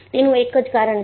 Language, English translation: Gujarati, There is a reason for it